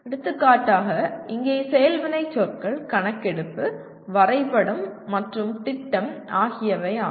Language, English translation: Tamil, For example action verbs here are survey, map and plan